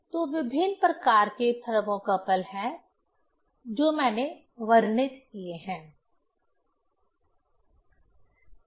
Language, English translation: Hindi, So, different kinds of thermocouples are there that I have described